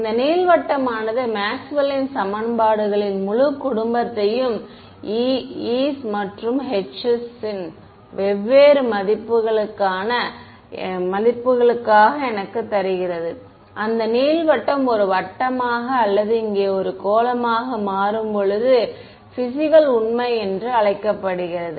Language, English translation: Tamil, This ellipsoid gives me a whole family of Maxwell’s equations for different values of e’s and h’s and I get back reality, so called physical reality when that ellipsoid becomes a circle right or a sphere over here